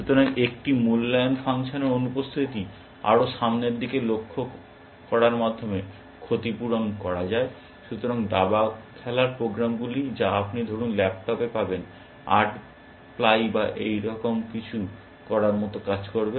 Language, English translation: Bengali, So, the absence of an evaluation function is compensated by doing more look ahead essentially, typical chess playing programs that you get, on laptops for example, would do something like eight ply or something like that